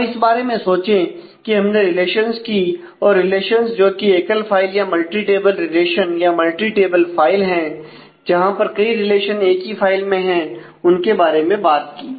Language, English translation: Hindi, Now think about; so the whole so, we have; so, far talked about the relations and relations going to either single files or multi table relations; multi table file where multiple relations are on the same file